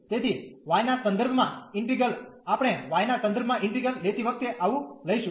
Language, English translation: Gujarati, So, while taking the integral with respect to y, we will take so with respect to y